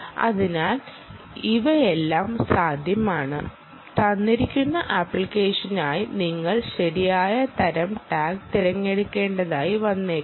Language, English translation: Malayalam, so all of these are possible and you may have to choose the right type of tag for a given application